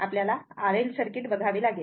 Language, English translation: Marathi, Next we have to see the RL circuit, right